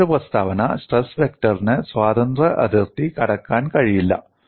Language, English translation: Malayalam, And another statement is stress vector cannot cross the free boundary